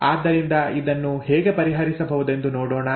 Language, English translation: Kannada, So let us look at how to solve this